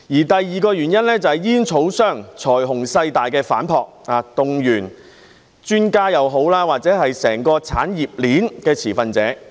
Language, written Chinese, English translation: Cantonese, 第二個原因，就是煙草商財雄勢大的反撲，不論專家或整個產業鏈的持份者均被動員。, The second reason was the counterstrike by tobacco companies with great financial power and influence mobilizing both experts and stakeholders in the entire industry chain